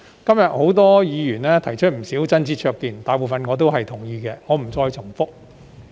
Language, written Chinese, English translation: Cantonese, 今天，多位議員提出不少真知灼見，大部分我都同意，我不再重複了。, Many Members have offered quite a few insightful views today . I agree with most of them so I am not going to repeat